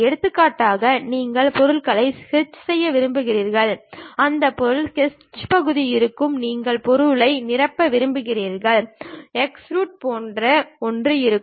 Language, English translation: Tamil, For example, you want to sketch the object, that object sketch portion will be there, you want to fill the material, something like extrude will be there